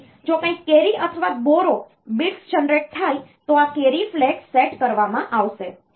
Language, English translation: Gujarati, So, if something is carry or borrow bit is generated then this carry flag will be set